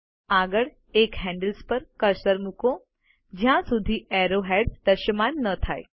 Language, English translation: Gujarati, Next, place the cursor on one of the handles till arrowheads is visible